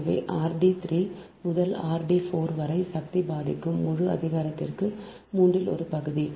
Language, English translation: Tamil, so r dash d three into r dash, d four to the power, half whole to the power, one third right